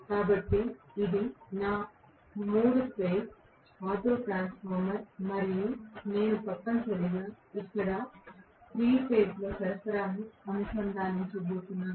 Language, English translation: Telugu, So, this is my 3 phase autotransformer and I am going to have essentially the 3 phase supply connected here